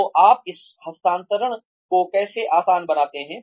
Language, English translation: Hindi, So, how do you make this transfer easy